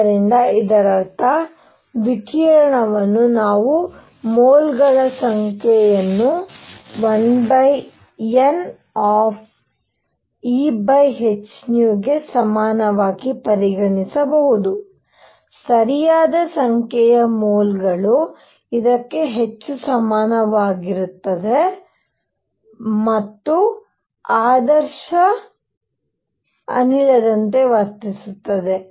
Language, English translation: Kannada, So, this means, we can consider the radiation as having number of moles equals 1 over N E over h nu, right number of moles equals this much and behaving like an ideal gas